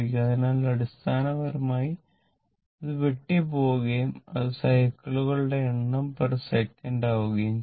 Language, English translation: Malayalam, So, it basically it will cancel it will become number of cycles per second